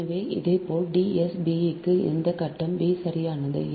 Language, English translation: Tamil, so similarly, similarly for d s b, also ah, that phase b, right